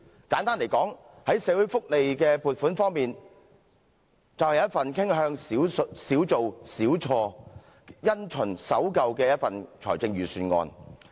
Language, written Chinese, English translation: Cantonese, 簡單來說，在社會福利的撥款方面，它便是一份傾向"少做少錯"，因循守舊的一份預算案。, In brief in terms of funding on social welfare this Budget tends to avoid mistakes by doing less and by closely adhering to established practices